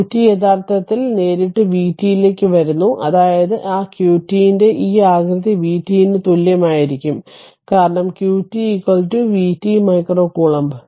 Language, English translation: Malayalam, So, q t is actually your directly your coming to v t that means this shape of that q t will be same as your v t, because q t is equal to v t micro coulomb